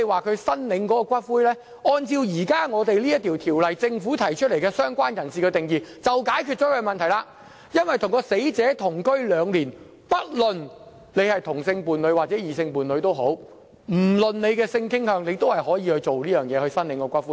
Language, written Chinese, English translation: Cantonese, 至於申領骨灰方面，按照當前這項條例草案，政府就"相關人士"提出的定義已解決他們的問題，因為只要是跟死者同居兩年的人，不論是同性或異性伴侶，不論性傾向，也可申領骨灰。, In the case of claims for the ashes of the deceased according to the present Bill the definition of related person proposed by the Government will address the problems raised by them for anyone who had been living in the same household with the deceased for two years be the person of the same sex or opposite sex and irrespective of his or her sexual orientation may claim the ashes of the deceased